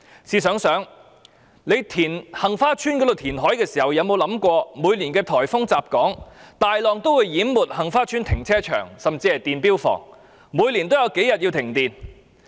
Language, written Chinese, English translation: Cantonese, 試想想，在杏花邨填海時，有否想到每年颱風襲港，大浪會淹沒該處的停車場甚至電錶房，以致每年有數天需要停電？, Come and think about this . When reclaiming land for Heng Fa Chuen development have we ever thought of huge waves inundating car parks and even meter rooms in the place during the onslaught of typhoons resulting in several days of electricity suspension every year?